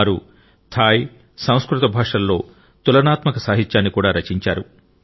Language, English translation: Telugu, They have also carried out comparative studies in literature of Thai and Sanskrit languages